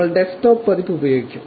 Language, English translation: Malayalam, We will use the desktop version